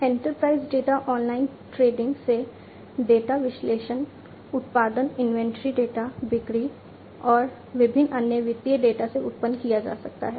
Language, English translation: Hindi, Enterprise data can be generated, are generated from online trading, data analysis, production inventory data, sales and different other financial data